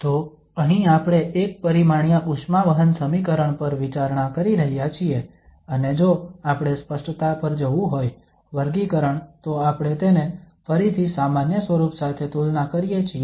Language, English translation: Gujarati, So here we are considering the one dimensional this heat conduction equation and if we want to go for the clarification, the classification so we compare again with the general form